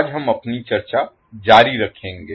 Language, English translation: Hindi, So we will just continue our discussion